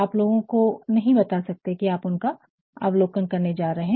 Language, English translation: Hindi, Are you going to tell you cannot tell people that you are going to observe him